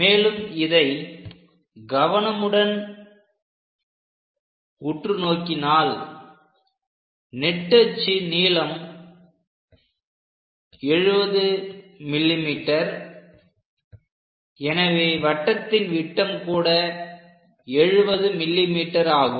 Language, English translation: Tamil, And if we are seeing carefully because this is 70 mm major axis, so the diameter of this entire circle itself is 70 mm